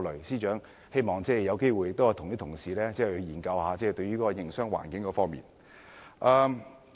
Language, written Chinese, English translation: Cantonese, 司長，希望你有機會多與議員研究一下營商環境的問題。, Financial Secretary I hope you can create more opportunities to discuss with Members on the issue of business environment